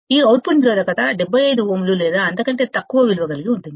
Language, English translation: Telugu, This output resistance, has a typical value of 75 ohms or less